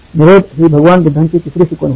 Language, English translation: Marathi, This was Lord Buddha’s third truth